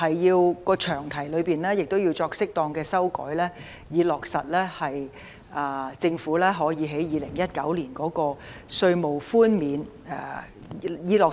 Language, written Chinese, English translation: Cantonese, 此外，詳題亦要作適當修訂，以落實政府2019年的稅務寬免。, Besides appropriate amendment has to be made to the long title so as to materialize the tax concession measure rolled out by the Government in 2019